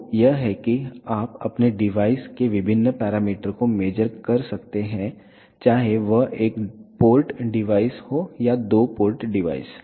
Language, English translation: Hindi, So, this is how you can measure the various parameter of your device whether it is a one port device or two port device